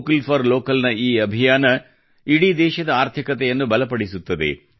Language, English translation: Kannada, This campaign of 'Vocal For Local' strengthens the economy of the entire country